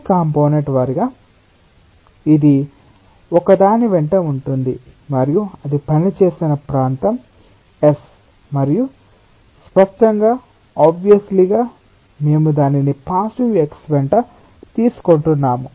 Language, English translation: Telugu, this component wise it is along one and the area on which it is acting is s and obviously by default we are taking it as along positive x